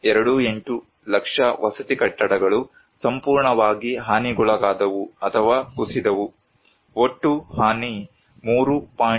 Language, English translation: Kannada, 28 lakh residential buildings were fully damaged or collapsed, total damage was 3